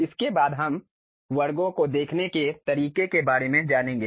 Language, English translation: Hindi, Thereafter we will learn about how to view sections